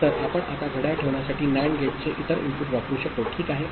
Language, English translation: Marathi, So, we can now use the other input of the NAND gate to put the clock, ok